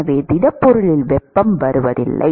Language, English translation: Tamil, So, there is no heat that is coming into the solid